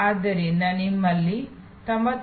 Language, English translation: Kannada, So, that you have a 99